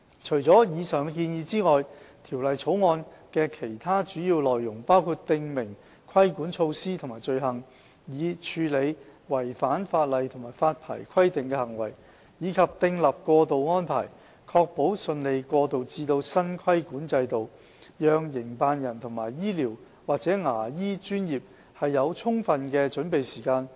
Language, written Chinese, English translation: Cantonese, 除了以上的建議外，《條例草案》的其他主要內容包括訂明規管措施和罪行，以處理違反法例及發牌規定的行為，以及訂立過渡安排，確保順利過渡至新規管制度，讓營辦人和醫療/牙醫專業有充足的準備時間。, 459 will remain unchanged . Besides the above proposals the major contents of the Bill include the stipulation of regulatory measures and offences to tackle with breaches of the law and licensing requirements and to provide for transitional arrangements to ensure a smooth transition to the new regulatory regime so that operators and the medical and dental professions will be fully prepared before implementation of the revamped regime